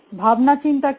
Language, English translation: Bengali, What is thinking